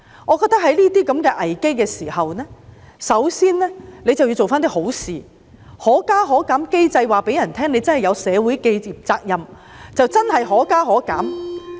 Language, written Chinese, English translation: Cantonese, 我覺得在出現這些危機的時候，港鐵公司首先要做些好事，通過"可加可減"機制，以示自己真的有社會責任，真的"可加可減"。, I hold that in the event of such crisis MTRCL should first do something good through the Fare Adjustment Mechanism to show that it can truly fulfil its social responsibility with a genuine fare adjustment in either direction